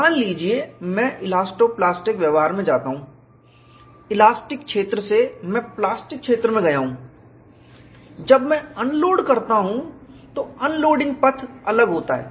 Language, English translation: Hindi, Suppose, I go to elasto plastic behavior; from elastic region I have gone to plastic region; when I unload, the unloading path is different; it is not same as the loading path